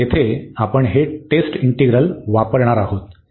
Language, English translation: Marathi, So, there we will be using some this test integral